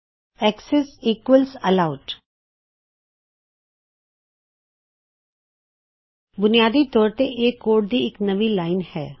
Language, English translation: Punjabi, Access equals Allowed Thats just basically another line of code